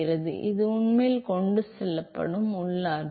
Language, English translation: Tamil, So, that is the internal energy that is actually being transported